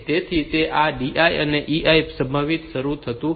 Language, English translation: Gujarati, So, that does not get affected by this EI and DI